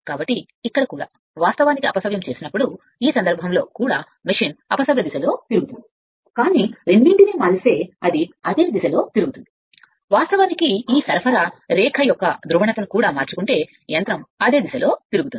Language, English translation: Telugu, So, the here here also, if you when you are reversing then in this case also machine will rotate in the reverse direction, but if you make both then, it will rotate in the same direction, if you interchange the polarity of this supply line also machine will rotate in the same direction right